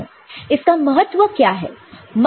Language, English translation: Hindi, What is the significance of it